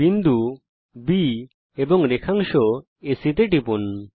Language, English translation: Bengali, Click on the point B and then on segment AC